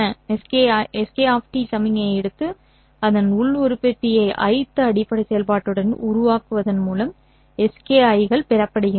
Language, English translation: Tamil, SKIs are obtained by taking the signal SK of T and then forming the inner product of this with the Ith basis function